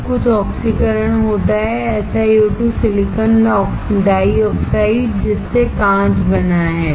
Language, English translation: Hindi, Everything is oxidized, SiO2 silicon dioxide that is what glass is made up of